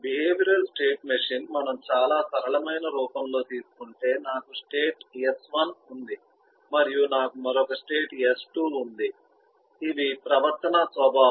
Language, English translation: Telugu, behavioral state machine, if we just take in the very simple form, I have a state s1 and I have a another state s2